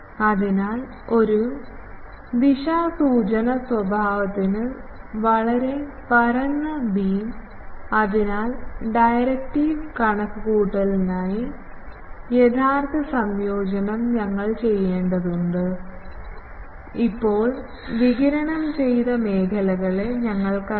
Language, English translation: Malayalam, So, very flat beam to a directed nature so, for directive calculation, we have to do actual integration that can be done, we know the fields now radiated zone